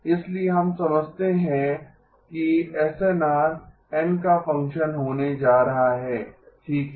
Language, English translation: Hindi, So we recognize that the SNR is going to be a function of n okay